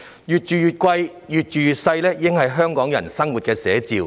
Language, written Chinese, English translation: Cantonese, "越住越貴，越住越細"已經是香港人的生活寫照。, Paying more for a smaller flat has already become a living reality of Hong Kong people